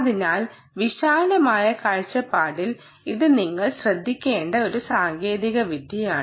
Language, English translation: Malayalam, so in broad view ah, its an exciting technology that you should look out for